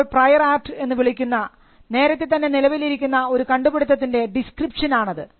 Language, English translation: Malayalam, So, that is a description to an earlier existing invention, what we call a prior art